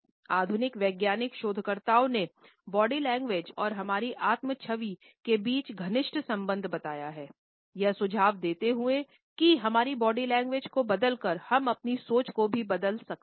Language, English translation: Hindi, Latest scientific researchers have pointed out a close connection between the body language and our self image, suggesting that by changing our body language we can also change our thinking